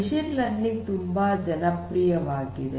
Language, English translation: Kannada, Machine learning is very popular